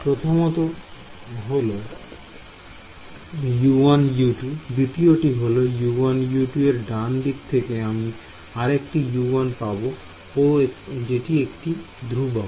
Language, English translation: Bengali, First term U 1 U 2, second term U 1 U 2, right hand side is going to give me one more U 1 and some constants right